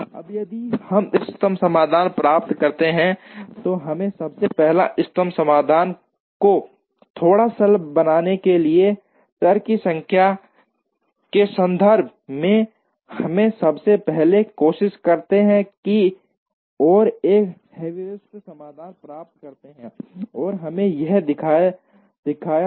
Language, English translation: Hindi, Now, if we get to the optimum solution, we first in order to make the optimum solution a little simpler, in terms of number of variables, we first try and get a heuristic solution like what we have shown here